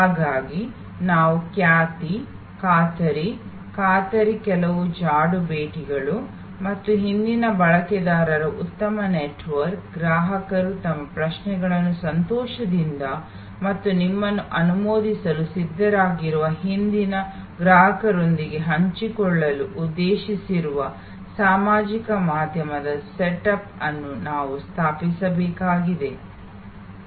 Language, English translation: Kannada, And so we need to establish a good framework of reputation, guarantee, warranty some trail visits and good network of previous users, social media setup for intending customers to share their queries with past customers who are happy and ready to endorse you and so on